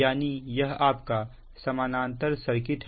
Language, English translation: Hindi, suggest its a parallel connection